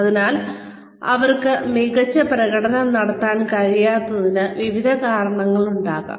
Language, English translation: Malayalam, So, there could be various reasons, why they are not able to perform to their best